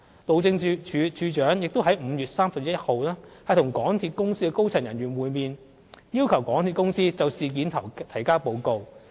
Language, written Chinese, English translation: Cantonese, 路政署署長亦於5月31日與港鐵公司高層人員會面，要求港鐵公司就事件提交報告。, The Director of Highways met with senior MTRCL staff on 31 May and requested MTRCL to submit a report of the incident